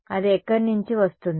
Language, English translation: Telugu, Where will it come from